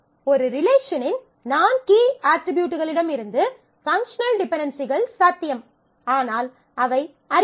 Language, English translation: Tamil, So, functional dependencies from non key attributes of a relationship are possible ah, but are rare